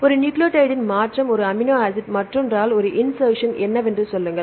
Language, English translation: Tamil, Change of 1 nucleotide; 1 amino acid by the other one right say what is an insertion